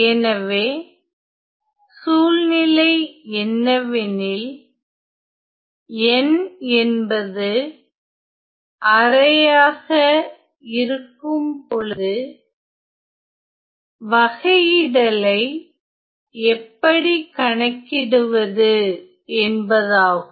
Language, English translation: Tamil, So, what is the situation and how to evaluate the derivative when n is half